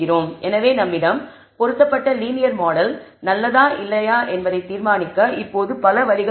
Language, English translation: Tamil, So, there are now several ways for deciding whether the linear model that we have fitted is good or not